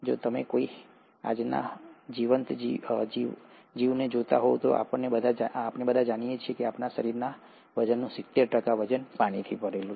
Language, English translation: Gujarati, If you were to look at any living organism as of today, we all know that our, seventy percent of our body weight is made up of water